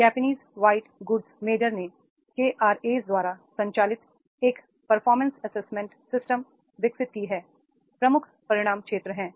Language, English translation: Hindi, The Japanese white goods measure has developed a performance assessment system driven by the KRAs, key result areas are there